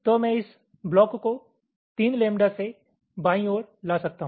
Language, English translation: Hindi, i can bring it to the left by, again, three lambda